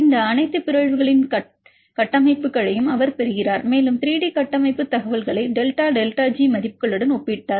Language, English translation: Tamil, He also get the structures of all these mutants and he compared the 3D structure information with the delta delta G values